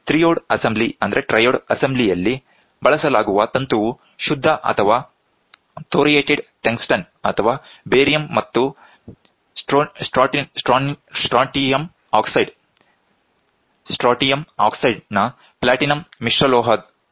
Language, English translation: Kannada, The filament used in triode assembly is made of pure or thoriated tungsten or platinum alloy coating of barium and strontium oxide